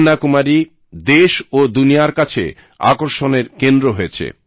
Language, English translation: Bengali, Kanyakumari exudes a special attraction, nationally as well as for the world